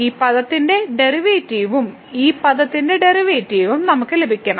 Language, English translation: Malayalam, So, we have to get the derivative of this term and the derivative of this term